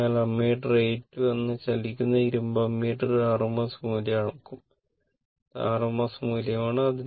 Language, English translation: Malayalam, So, that means, moving iron ammeter that is ammeter A 2 will measure the rms value and this is your rms value